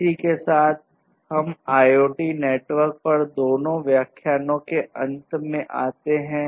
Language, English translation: Hindi, With this we come to an end of both the lectures on IoT networks